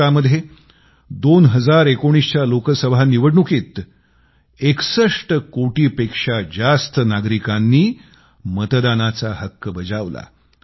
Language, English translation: Marathi, In the 2019 Loksabha Election, India saw over 61 crore voters exercising their franchise… yes 61 crores